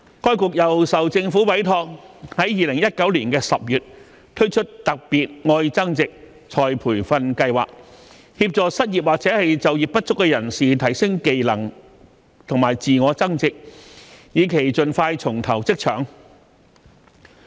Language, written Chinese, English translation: Cantonese, 該局又受政府委託於2019年10月推出"特別.愛增值"再培訓計劃，協助失業或就業不足人士提升技能及自我增值，以期盡快重投職場。, ERB was entrusted by the Government to launch the Love Upgrading Special Scheme the Scheme in October 2019 to assist the unemployed and the underemployed to upgrade their skills for self - enhancement with a view to rejoining the workforce as early as possible